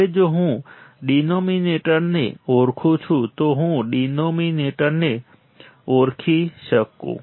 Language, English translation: Gujarati, Now, if I recognize the denominator if I recognize the denominator